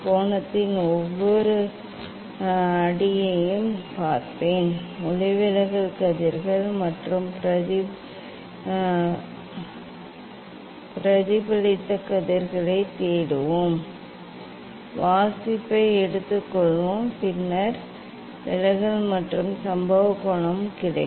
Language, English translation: Tamil, we will look for each step of angle, we will look for the refracted rays and reflected rays, we take the reading and then we will get the deviation and incident angle